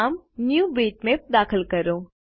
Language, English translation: Gujarati, Lets enter the name NewBitmap